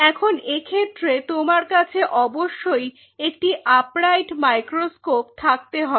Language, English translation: Bengali, Now in that case you will have to have a microscope which is upright